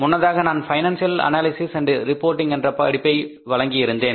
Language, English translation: Tamil, Earlier I have offered a course that is financial analysis and reporting